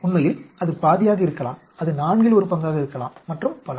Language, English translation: Tamil, It could be half of that, it could be one fourth of that and so on actually